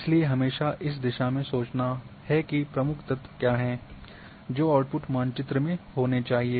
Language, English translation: Hindi, It is always to think in this direction that what are the key elements should be there in my output map